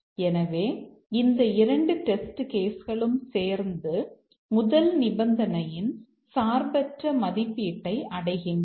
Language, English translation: Tamil, So, these two test cases together will achieve the independent evaluation of the first condition